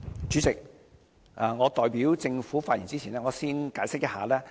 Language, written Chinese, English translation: Cantonese, 主席，我代表政府發言之前，先解釋一下。, President before I speak on behalf of the Government let me first give an explanation